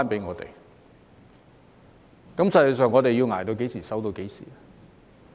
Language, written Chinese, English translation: Cantonese, 我們實際上要捱至何時、守至何時？, Until when are we actually going to struggle and wait?